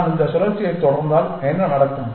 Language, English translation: Tamil, What will happen if I continue this cycle